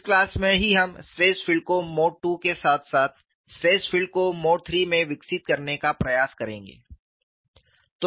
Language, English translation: Hindi, In this class itself, we will try to develop the stress field in mode 2 as well as stress field in mode 3